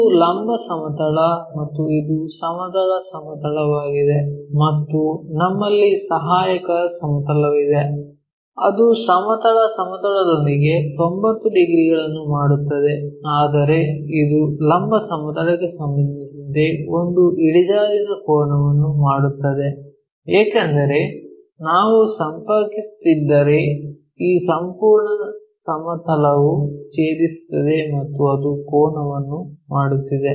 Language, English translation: Kannada, This is vertical plane and this is a horizontal plane and we have an auxiliary plane which is making 90 degrees with horizontal plane, but it makes a inclination angle with respect to vertical plane because if we are connecting this entire plane is going to intersect there and its making an angle